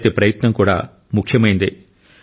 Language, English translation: Telugu, Every effort is important